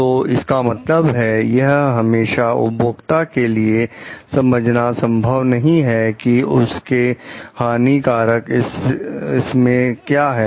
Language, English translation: Hindi, So, it means it may not be always possible for the users to understand the hazard part of it